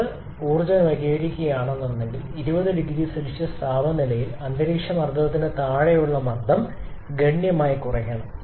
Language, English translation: Malayalam, Then if we want to attain condensation say at a temperature of 20 degree Celsius we have to reduce the pressure significantly below that atmospheric pressure